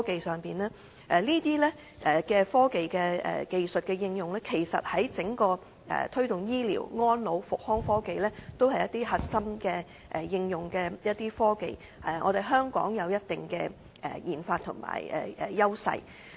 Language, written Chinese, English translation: Cantonese, 這些科技技術的應用，在推動醫療、安老及復康科技上，都是一些核心應用的科技，而香港有一定的研發優勢。, The application of such technological skills helps promote the technologies in health care elderly services and rehabilitation which are some core technologies for application and Hong Kong has certain advantages in such RD